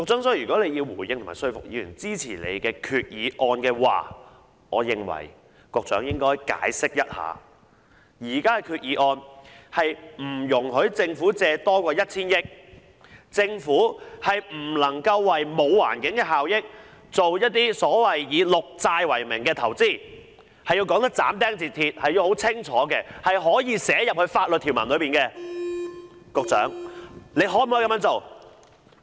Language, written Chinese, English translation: Cantonese, 所以，如果局長要回應和說服議員支持他的決議案，我認為局長應該解釋現時決議案是不容許政府借款超過 1,000 億元，而且政府不能為沒有環境效益的工程發綠債融資，要斬釘截鐵地說清楚，是可以寫入法律條文的，局長可否這樣做？, Therefore if the Secretary wants to respond to Members and convince them to support his Resolution I think he should explain that borrowings of more than 100 billion are not possible under this resolution and that the Government may not issue green bonds to finance works projects without any environmental benefits . He has to give a categorical statement which can be included in the provision . Can the Secretary do that?